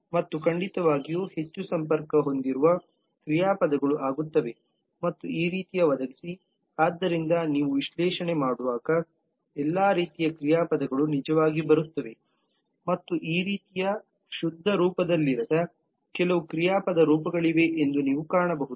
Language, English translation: Kannada, and certainly verbs which are kind of more connective like become and provide these kind of so all kinds of verbs actually come in as you do the analysis and you will also find that there are certain verb forms which are not in the pure form like this ones